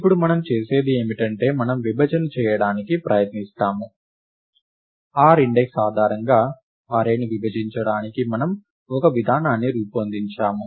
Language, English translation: Telugu, So, what we now do is, we try to partition, we come up with a procedure to partition the array based on an index r